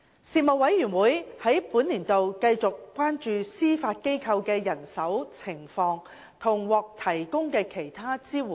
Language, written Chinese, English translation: Cantonese, 事務委員會在本年度繼續關注司法機構的人手情況及獲提供的其他支援。, Manpower and other support for the Judiciary continued to be a concern of the Panel in the current session